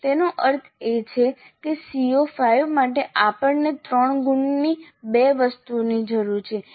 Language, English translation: Gujarati, That means for CO5 we need two items three marks each